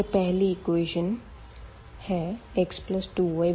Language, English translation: Hindi, So, here this is the first equation x plus y is equal to 4